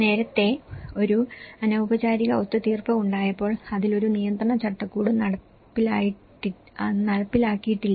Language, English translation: Malayalam, And earlier, when there was an informal settlement okay, there is no regulatory framework has been enforced on that